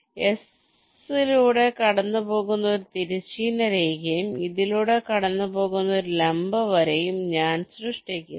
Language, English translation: Malayalam, so i generate a horizontal line passing through s like this, and a vertical line passing through this